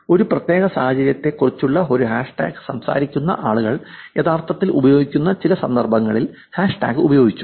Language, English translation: Malayalam, The hashtag was actually used in some of the context where people were actually using this hashtag talk about a particular situation